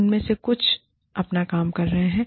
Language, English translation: Hindi, Some of them, are doing their work